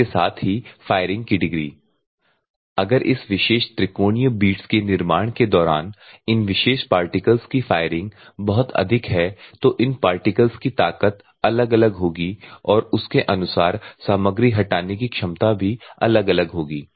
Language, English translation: Hindi, At the same time degree of firing if the firing of these particular particles during manufacture of this particular beats triangular beats is very high the strength of this particular particles will vary and according to that the material removal also will vary